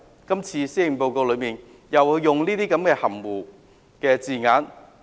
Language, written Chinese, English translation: Cantonese, 今次的施政報告，卻利用這些含糊的字眼。, Yet this Policy Address opted to use these vague wordings drawing a red herring across the path